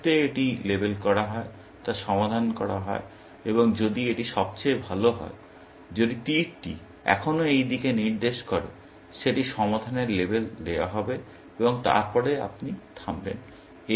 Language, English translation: Bengali, The moment it gets labeled solved, and if this is the best one, if the arrow still pointing to this; that will get labeled solved and then, you will stop